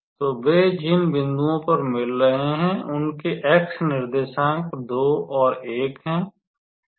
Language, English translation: Hindi, So, they are meeting at the point x coordinates are minus 2 and 1 and when x is minus 2